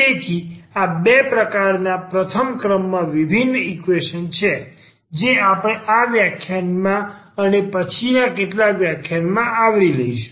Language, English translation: Gujarati, So, these are the two types of first order differential equations we will be covering in this and the next few lectures